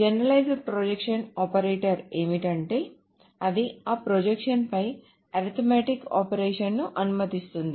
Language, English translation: Telugu, So what the generalized projection operator does is that it allows arithmetic operations on those projections